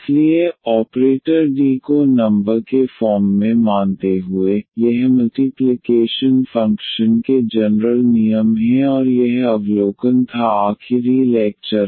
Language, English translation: Hindi, So, treating the operator D as a number, the ordinary this laws of multiplication works and this was the observation from the last lecture